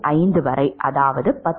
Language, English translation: Tamil, 5 that is 10